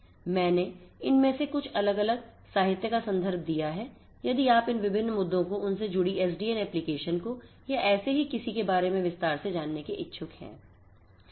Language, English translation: Hindi, I have cited some of these different literatures in case you are interested to know about in detail about any of these different issues their corresponding applications in SDN and so on